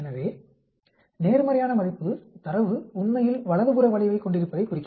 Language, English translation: Tamil, So, positive value will indicates the data is skewed to the right actually